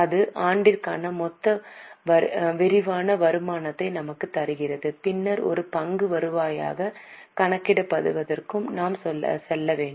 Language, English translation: Tamil, That gives us the total comprehensive income for the year and then we have to go for calculation of earning per share